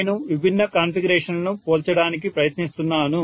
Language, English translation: Telugu, I am just trying to compare different configurations